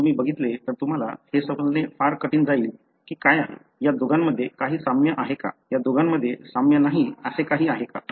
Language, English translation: Marathi, If you look at it, it would be very difficult for you to understand what is the, is there anything similar between these two, is there anything that is not similar between these two